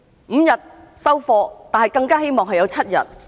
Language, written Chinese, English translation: Cantonese, 五天"收貨"，但更加希望有7天。, While five days paternity leave is acceptable it is even more preferable to have seven days